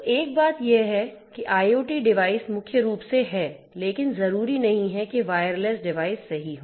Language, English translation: Hindi, So, one thing is that IoT devices are primarily, but not necessarily wireless devices right